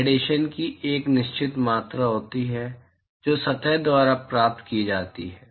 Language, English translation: Hindi, There is a certain amount of radiation that is received by the surface